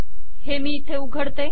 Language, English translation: Marathi, Let me open it here